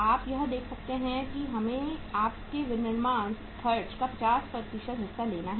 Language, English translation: Hindi, Uh you can see find out that we have to take the 50% of your manufacturing expenses